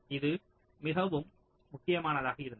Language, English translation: Tamil, so this was critical at all